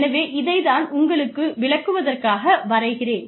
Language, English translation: Tamil, So, let me just draw this, for you